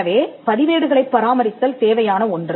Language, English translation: Tamil, So, this requires record keeping